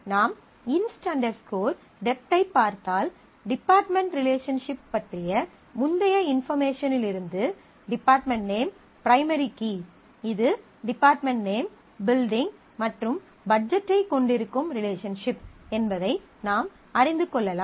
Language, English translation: Tamil, So, this is if we look at the inst dept, then in this we can we know that from the earlier information about the department relationship that department name is a key, is a primary key of the relation which has department name, building and budget